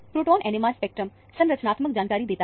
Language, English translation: Hindi, The proton NMR spectrum gave the skeletal information